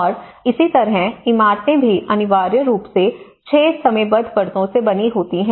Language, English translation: Hindi, And similarly, buildings are also essentially made of 6 time bound layers